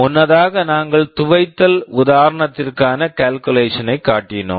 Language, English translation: Tamil, Earlier we showed the calculation for the washing example